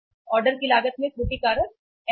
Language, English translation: Hindi, The error factor in the ordering cost is N